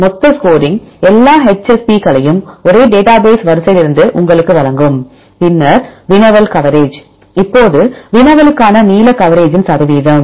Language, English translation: Tamil, Then the total score, this will give you all the HSPs from the same database sequence, then the query coverage as we discussed; now the percentage of length coverage for the query